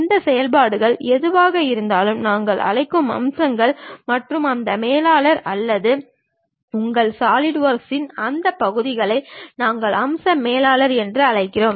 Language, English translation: Tamil, Whatever these operations we are doing features we call and that manager or that portion of your Solidworks we call feature manager